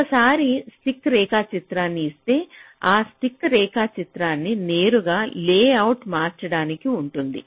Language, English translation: Telugu, so once here i have drawn the stick diagram, it is rather straight forward to convert the stick diagram into this layout